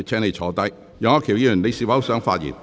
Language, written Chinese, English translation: Cantonese, 楊岳橋議員，你是否想發言？, Mr Alvin YEUNG do you wish to speak?